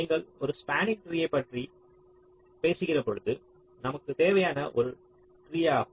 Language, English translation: Tamil, and when you talk about a spanning tree, so what is a spanning tree